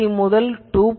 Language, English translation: Tamil, 3 to 2